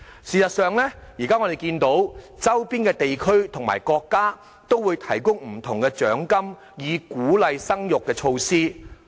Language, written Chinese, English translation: Cantonese, 事實上，我們現時看到，周邊地區及國家都會提供不同的獎金等鼓勵生育的措施。, In fact now we can see that neighbouring regions and countries have put in place measures to boost their fertility rates such as a wide range of monetary incentives